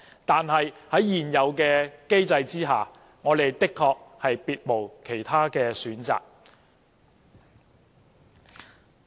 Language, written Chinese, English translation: Cantonese, 但是，在現有機制之下，我們的確別無選擇。, Nonetheless under the existing mechanism we really do not have other choices